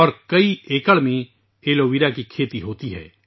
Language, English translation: Urdu, And Aloe Vera is cultivated over many acres